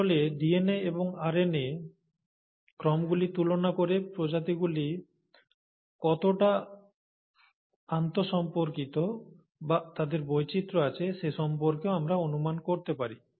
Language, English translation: Bengali, So by comparing the actual DNA and RNA sequences, we can also estimate how closely the species are inter related, or they have diversified